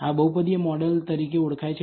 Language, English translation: Gujarati, This is known as a polynomial model